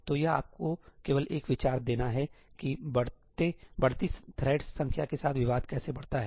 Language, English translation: Hindi, So, this is just to give you an idea about how contention scales with increasing number of threads